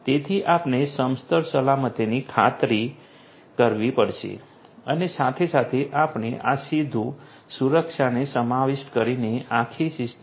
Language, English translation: Gujarati, So, we have to ensure horizontal security as well as we need to also ensure this one which is the vertical security both are important